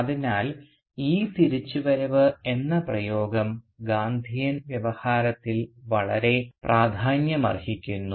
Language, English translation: Malayalam, So this trope of return is very significant in the Gandhian discourse of nationalism